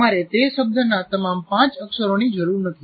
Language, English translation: Gujarati, You don't require all the five letters of that word